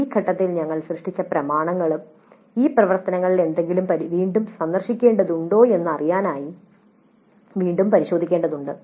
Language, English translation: Malayalam, The documents that we have created in this phase also need to be really looked at again to see if any of these activities need to be revisited